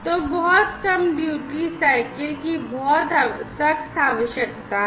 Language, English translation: Hindi, So, there is a very stringent requirement of very low duty cycle